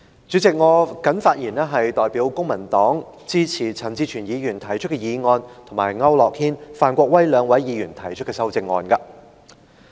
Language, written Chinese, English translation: Cantonese, 主席，我代表公民黨發言，支持陳志全議員動議的議案和區諾軒議員及范國威議員提出的修正案。, President on behalf of the Civic Party I rise to speak in support of the motion moved by Mr CHAN Chi - chuen as well as the amendments proposed by Mr AU Nok - hin and Mr Gary FAN